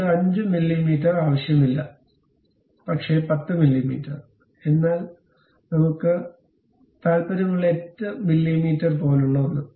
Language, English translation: Malayalam, And we do not want 5 mm, but 10 mm; but something like 8 mm we are interested in